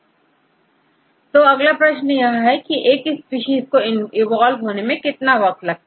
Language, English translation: Hindi, The next question is how long it takes to evolve from one to other